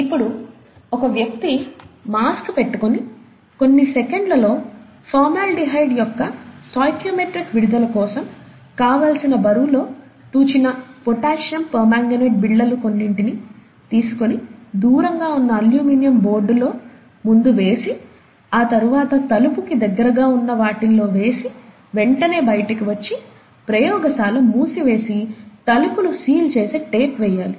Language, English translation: Telugu, And then, the person uses a mask and so on, just for those few seconds, drops a few pellets of potassium permanganate, that are carefully weighed out for, required for the stoichiometric release of formaldehyde and so on, drops in the aluminum boards, farthest first, and then keeps dropping in the boards that are closer to the door, and then quickly walks out the door, shuts the lab, and tapes the door shut